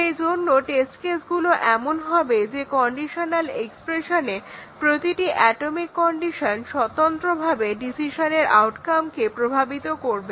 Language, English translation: Bengali, So, the test cases should be such that each atomic condition in the conditional expression would independently affect the outcome of the decision